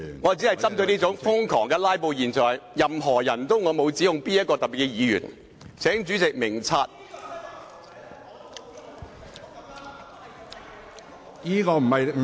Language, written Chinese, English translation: Cantonese, 我只是針對瘋狂"拉布"的現象，沒有特別指控某位議員，請主席明察。, I was only targeting the crazy phenomenon of filibustering . I did not make any accusation of any particular Member . May I seek the Presidents wise judgment